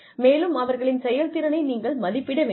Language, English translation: Tamil, And then, you appraise their performance